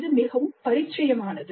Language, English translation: Tamil, This is quite familiar